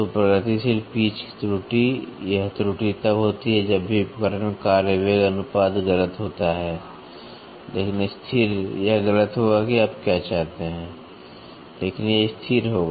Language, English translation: Hindi, So, progressive pitch error this error occurs, whenever the tool work velocity ratio is incorrect, but constant it will be incorrect what do you want, but it will be constant